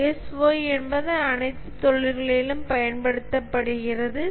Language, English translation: Tamil, ISO is generic used across all industries